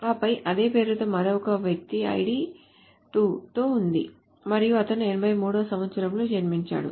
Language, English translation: Telugu, And then there is another person ID with the same name apparently and who was born in year 83